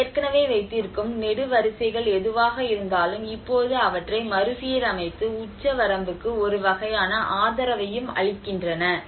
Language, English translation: Tamil, \ \ \ Also, what you can see here is whatever the columns they already have and now retrofitting them and giving a kind of support to the ceiling as well